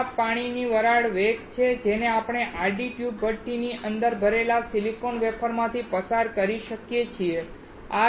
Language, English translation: Gujarati, This is the velocity of the water vapor that we can pass through the silicon wafers loaded inside the horizontal tube furnace